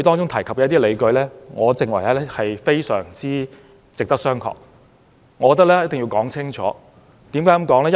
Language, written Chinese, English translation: Cantonese, 他提出的一些理據，我認為非常值得商榷，我一定要說清楚。, In my opinion some of his arguments are really questionable and I must make this clear